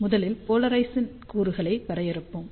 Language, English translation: Tamil, Let us first define the polar component